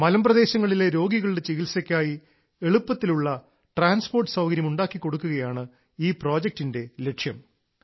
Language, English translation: Malayalam, The purpose of this project is to provide easy transport for the treatment of patients in hilly areas